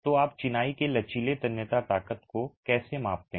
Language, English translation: Hindi, So how do you measure the flexual tensile strength of masonry